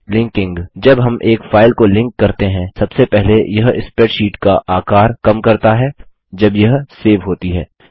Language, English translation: Hindi, Linking When we link a file: First, it reduces the size of the spreadsheet when it is saved Since our spreadsheet does not contain the image